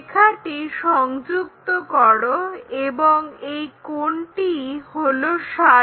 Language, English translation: Bengali, Here join this line, this is 60 yeah 60 degrees